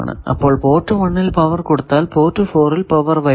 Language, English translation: Malayalam, Similarly if I give power at port 2 at third port no power will come